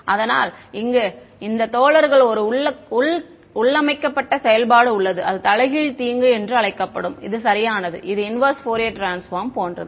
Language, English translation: Tamil, So, these guys have a inbuilt function called harm inverse this is right this is like the inverse Fourier transforms